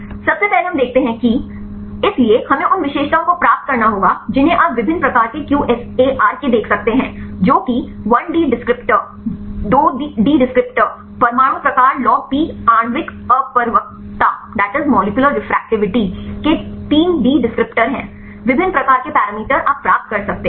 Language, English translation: Hindi, First we see that; so, we have to derive the features you can see the different types of QSAR’s that is 1D descriptor, 2D descriptor, 3D descriptors of the atom type logP molecular refractivity; different types of parameters you can derive